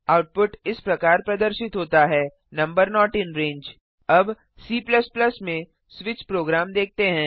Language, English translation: Hindi, The output is displayed as: number not in range Now lets see the switch program in C++ Come back to the text editor